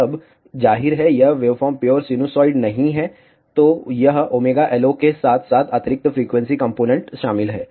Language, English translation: Hindi, Now, of course, this waveform is not pure sinusoid, so it will contain additional frequency components along with omega LO